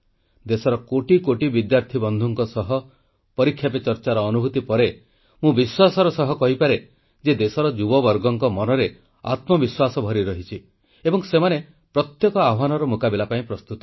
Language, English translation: Odia, After my experience with millions of students of the country through the platform of 'Pariksha Pe Charcha', I can say with confidence that the youth of the country is brimming with selfconfidence and is ready to face every challenge